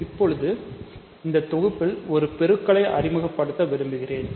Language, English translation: Tamil, Now, I want to introduce a multiplication on this set